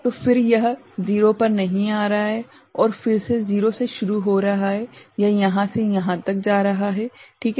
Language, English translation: Hindi, So, then it is not coming to 0 and again beginning from the 0, it is going from here to here, ok